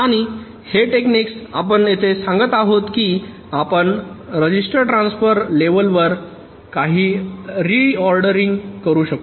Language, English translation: Marathi, here we are saying that we can also do some re ordering at the register transfer level